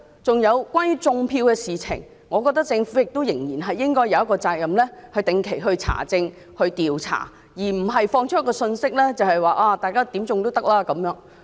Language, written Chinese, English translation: Cantonese, 此外，就"種票"的問題，我認為政府有責任定期查證和調查，而不是發放可以任意"種票"的信息。, Furthermore with regard to vote - rigging I hold that the Government is responsible for regular verification and investigation rather than disseminating the message that vote - rigging can be done at will